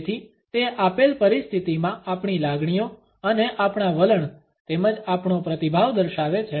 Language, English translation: Gujarati, So, it showcases our feelings and our attitudes as well as our response in a given situation